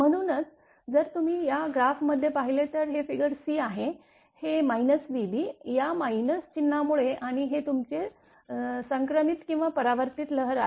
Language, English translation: Marathi, So, that is why if you look in this graph that this figure b c that this is that minus v b, because of this minus sign right and this is your v that is your transmitted or refracted wave right